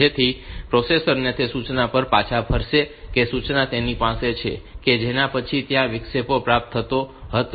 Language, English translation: Gujarati, So, that the processor will return to the instruction which it has the instruction just after the one at which the interrupt was received